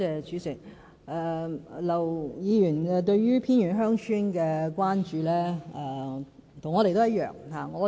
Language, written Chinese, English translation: Cantonese, 主席，劉議員對於偏遠鄉村的關注與我們一樣。, President Mr LAUs concern for remote villages is the same as ours